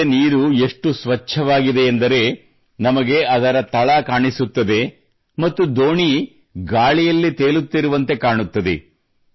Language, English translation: Kannada, The water of the river is so clear that we can see its bed and the boat seems to be floating in the air